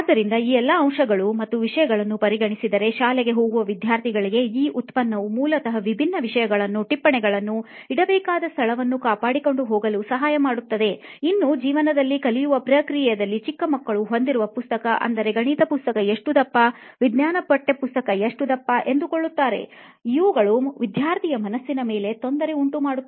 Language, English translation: Kannada, So considering all these points and factors, having this product which can help the school going students basically where they are supposed to maintain different subjects, notes and also have different textbooks so different subjects which is a kind of a hassle for a young kid who is still in process of learning life and about subjects, seeing the book itself kind of motivates most of the students nowadays, seeing how fat a maths textbook is, how fat a science textbook is, that is basically playing on the mind set of the student